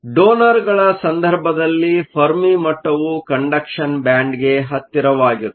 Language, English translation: Kannada, In the case of donors, the fermi level moves closer to the conduction band